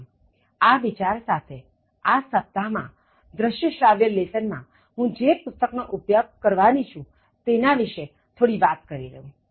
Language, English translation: Gujarati, So, with that thought in mind, let me say a quick word about the book that I am going to use in this week, and in this audio, as well as video lesson